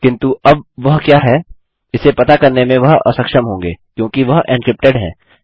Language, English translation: Hindi, But now they wont be able to find what it is because thats encrypted